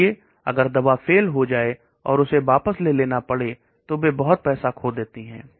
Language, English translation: Hindi, So if the drug fails and it has to be withdrawn they have lost lot of money